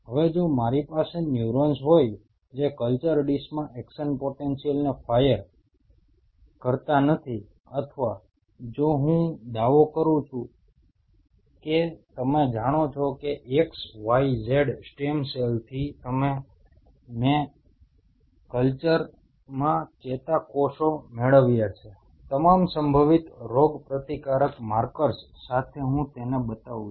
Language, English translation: Gujarati, Now if I have neurons which does not fire action potential in the culture dish, or if I claim that you know from x y z stem cells I have derived neurons in the culture, with all possible immune markers I show it